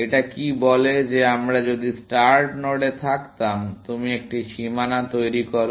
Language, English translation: Bengali, What it says is that if we were the start node, you create a boundary